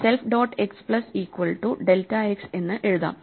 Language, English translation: Malayalam, So, you want self dot x plus delta x